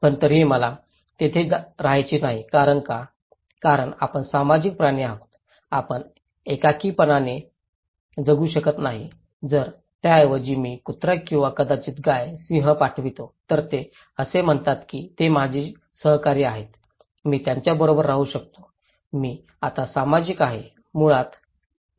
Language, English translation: Marathi, But still I do not want to live there because why; because we are social animals, we cannot live in isolation so, if instead of that, I send dogs or maybe cow, lion, can we call it kind of they are my companions, I can stay with them, am I social now; basically, no